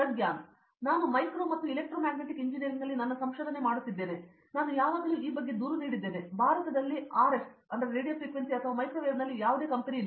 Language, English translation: Kannada, I am doing my research in Micro and Electromagnetic Engineering, and I always complain about this there is no company in RF or Microwave in India